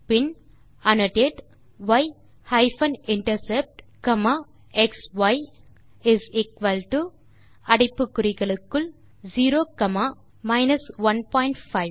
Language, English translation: Tamil, Then annotate y hyphen intercept comma xy is equal to within brackets 0 comma 1.5